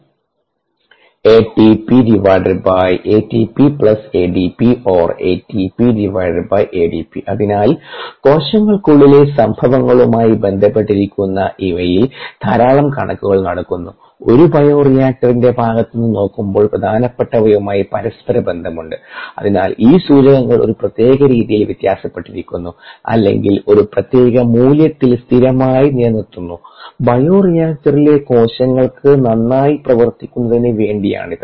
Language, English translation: Malayalam, so lot of measurements are made on these, correlated to the happenings inside the cells, correlations with respect to what is important from a bioreactor context, and efforts are made so that, uh, these ah indicators are ah, varied in a particular fashion or kept constant at a particular known value to achieve a desired performances by the cells in the bioreactor